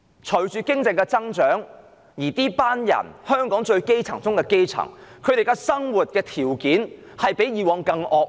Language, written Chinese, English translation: Cantonese, 本港經濟一直增長，但屬於香港基層中最基層的人士，他們的生活環境卻比以往更惡劣。, Despite Hong Kongs sustained economic growth the living environment of those at the bottom of the grassroots class in Hong Kong is worse than ever